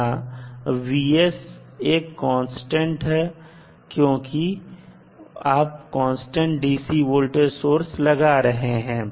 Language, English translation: Hindi, So, now here vs is constant because you are applying a constant dc voltage source